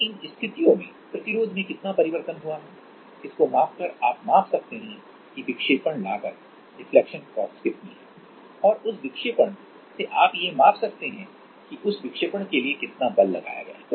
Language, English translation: Hindi, And in those cases by measuring how much is the change in resistance you can measure that how much is the deflection cost, and from that deflection you can measure that how much has been how much force has been applied for making that deflection